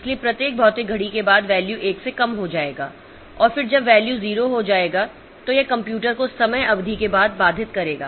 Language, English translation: Hindi, So, after every physical clock tick the value will be reduced by 1 and then when the value becomes 0 then it will interrupt the computer after the time period